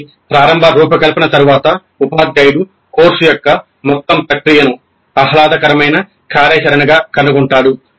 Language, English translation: Telugu, So after the initial design the teacher would even find the entire process of course design a pleasant activity